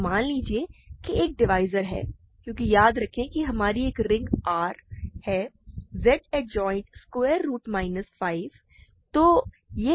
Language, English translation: Hindi, So, suppose there is a divisor because remember our ring is a R is Z adjoint square root minus 5